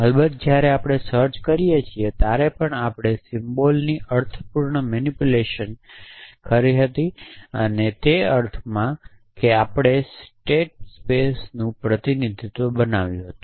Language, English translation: Gujarati, Off course, when we did search we also did meaningful manipulation of symbols in the sense that we created a represent representation of the state space